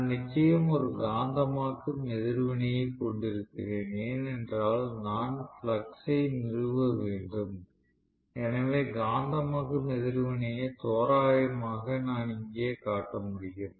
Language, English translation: Tamil, I do have definitely a magnetizing reactance because I have to establish the flux, so the magnetizing reactance as well approximation I can show it here